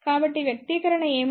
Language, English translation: Telugu, So, what is this expression